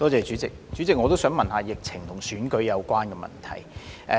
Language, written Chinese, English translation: Cantonese, 主席，我也想詢問疫情與選舉相關的問題。, President the question that I would like to ask is also related to the epidemic situation and the election